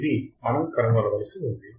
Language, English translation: Telugu, What we have to find